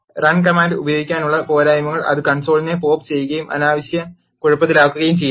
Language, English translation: Malayalam, The disadvantages of using run command is, it populates the console and make it messy unnecessarily